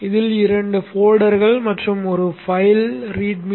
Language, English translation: Tamil, This has two folders and one file, a readme